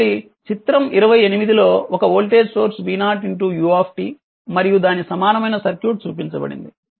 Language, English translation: Telugu, So, figure 28 a shows a voltage source v 0 u t and it is equivalent circuit is shown